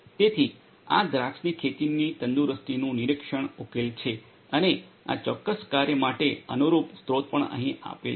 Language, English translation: Gujarati, So, this is the vineyard health monitoring solution and the corresponding source for this particular work is also given over here